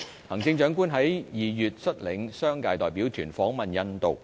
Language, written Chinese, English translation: Cantonese, 行政長官在2月率領商界代表團訪問印度。, The Chief Executive led a business delegation to India in February